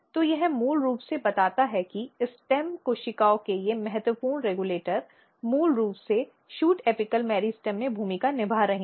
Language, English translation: Hindi, So, this basically tells that they all this critical regulators; critical regulators of stem cells they are basically playing role in shoot apical meristem